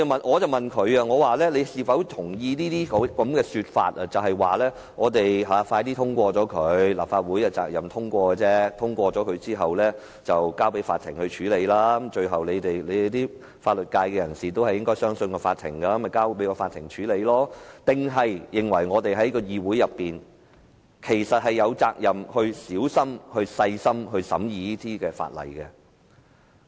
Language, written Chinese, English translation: Cantonese, 我問他是否認同這些說法，即立法會應盡快通過《條例草案》，立法會的責任只是通過《條例草案》，通過後便交由法庭處理，法律界人士會相信法庭，所以交給法庭處理便行；還是他認為我們在議會內有責任細心審議《條例草案》？, I asked him if he agreed with these remarks that means the Legislative Council should expeditiously pass the Bill; the Legislative Council is only responsible for passing the Bill and after its passage it can be referred to the Court; members of the legal sector will trust the Court so it can simply be referred to the Court . Or did he consider it our duty to carefully scrutinize the Bill in the Council?